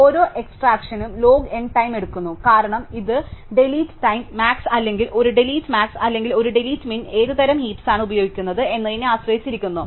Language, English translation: Malayalam, Now, each extraction takes log n time because it is a delete time delete max, right, or a delete max or a delete min depending on what type of heap for using